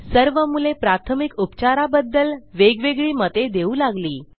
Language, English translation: Marathi, All the children give different opinions about first aid